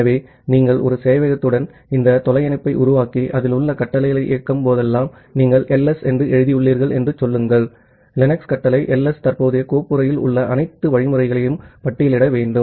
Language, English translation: Tamil, So, whenever you are making this remote connection to a server and executing the commands on that, say you have just written “ls”, the Linux command ls to listing all the directives which are there in the current folder